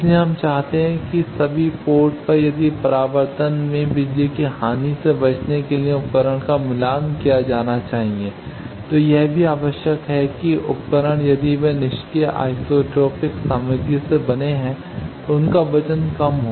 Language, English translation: Hindi, So, we want that at all the ports if the device should be matched to avoid power loss in reflection also there is a need that these devices if they are made of a passive an isotropic material then their weight is less